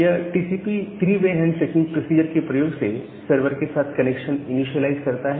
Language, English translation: Hindi, So, it initializes the connection to the server using the TCP three way handshaking procedure